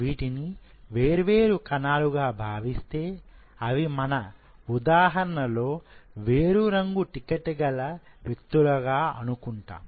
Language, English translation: Telugu, If you consider these as different cells, instead of these are individuals who are holding different color tag of tickets